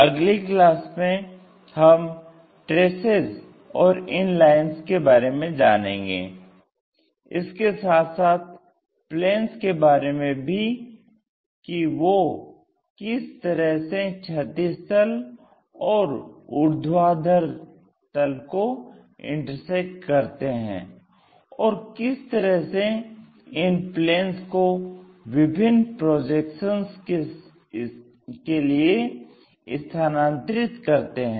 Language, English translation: Hindi, More about traces and these lines, we will learn in the later classes along with our planes if they are going to intersectintersecting with these horizontal planes, vertical planes, how these planes we have to really transfer it for different projections